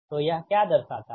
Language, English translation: Hindi, so what does it signify